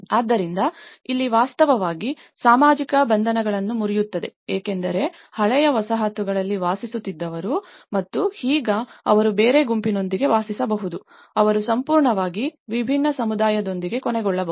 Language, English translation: Kannada, So, here, which actually breaks the social bondages because who was living in the old settlement and now, they may live with some other group, they may end up with completely different community